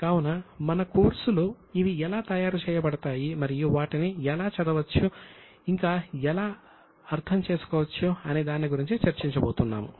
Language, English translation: Telugu, So, in our course we are going to discuss about how these are prepared and how they can be read and interpreted